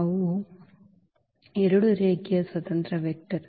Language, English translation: Kannada, So, they are 2 linearly independent vector